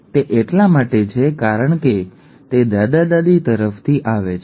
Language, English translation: Gujarati, That is because it comes from the grandparents, okay